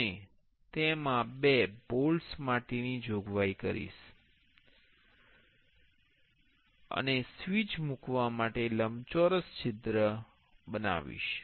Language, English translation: Gujarati, And it will have a provision for two bolts, and there will be a rectangular hole for placing the switch